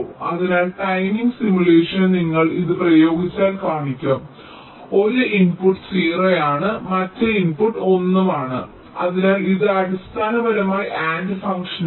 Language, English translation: Malayalam, so timing simulation will show that if you apply this, that means one input is zero, other input is also one